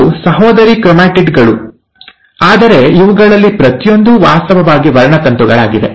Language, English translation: Kannada, These are sister chromatids, but each one of them is actually a chromosome